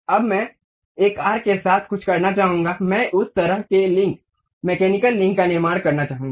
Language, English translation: Hindi, Now, I would like to have something like along an arc, I would like to construct that kind of link, mechanical link